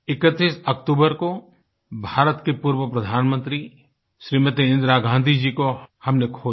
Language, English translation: Hindi, On the 31st of October we lost former Prime Minister of India, Smt